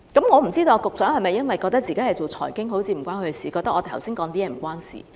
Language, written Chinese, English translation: Cantonese, 我不知道局長是否覺得自己負責財經，所以覺得我剛才的發言與他不相干？, I am not sure if the Secretary thinks that as he is in charge of finance and so my speech made just now is irrelevant to him